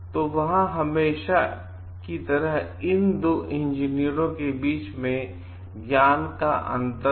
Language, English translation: Hindi, So, there could always be a gap of knowledge between these 2 like engineers